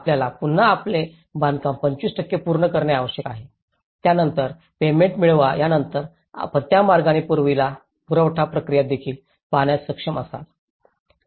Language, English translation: Marathi, Then, you again you need to finish 25% of your construction then get the payment next then you followed upon so in that way they are able to look at the payment process also